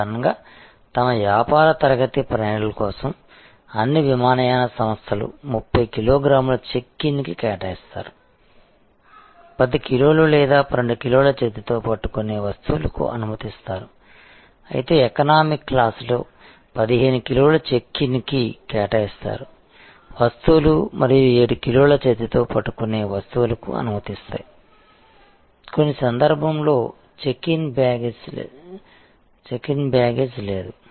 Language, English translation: Telugu, Normally, all airlines for their business class travelers will provide 30 kilo gram of checking baggage allowance, 10 kg or 12 kg of hand luggage allowance, whereas the economic class will have may be 15 kg of checking luggage allowance and may be 7 kg of carry on allowance, in some cases there is no checking package, free checking baggage facility